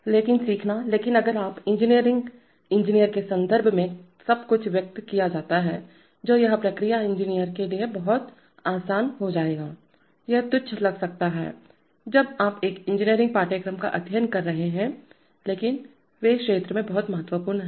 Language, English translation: Hindi, But learning the, but if you, it will be a lot easier for the process engineer if the, if everything is expressed in terms of engineering units, these are, this may seem trivial, when you are studying an engineering course, but they are very important in the field